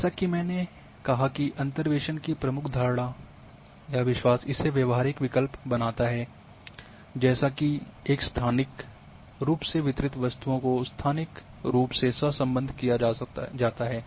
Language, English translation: Hindi, As I said that the major assumption or belief is that interpolation makes viable option that a spatially distributed objects are spatially correlated